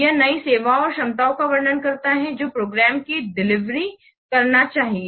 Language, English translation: Hindi, It describes the new services or the capabilities that the program should deliver